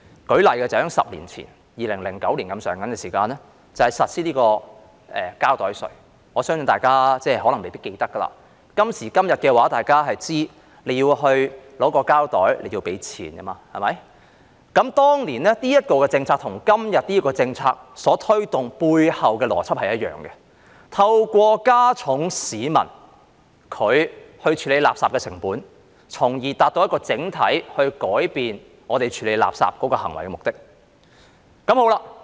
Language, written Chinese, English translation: Cantonese, 舉例說，在10年前，大約在2009年實施膠袋稅，我相信大家可能未必記得，今時今日大家都知道索取膠袋便要付錢，當年這項政策與今天這項政策所推動的背後邏輯是一樣的，透過加重市民處理垃圾的成本，從而達到整體改變我們處理垃圾行為的目的。, An example is the implementation of the plastic bag levy a decade ago in around 2009 . I think Members may not remember it though we all know nowadays that we need to pay for plastic bags . The logic behind this policy back then is the same as that behind the proposal orchestrated by this policy today and that is increasing the cost borne by the public in waste disposal to achieve the objective of generally changing our behaviours towards waste disposal